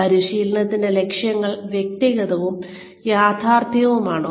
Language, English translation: Malayalam, Are the goals of training, clear and realistic